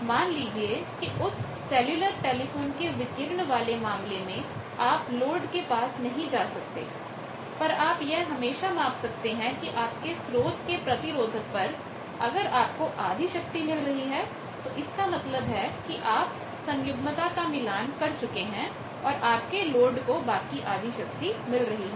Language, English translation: Hindi, So, load is not accessible to you, but you can always make a measurement at your source that across the source resistance if you find that half of the power is there; that means, you know that you have got a conjugate match and load is getting half of that power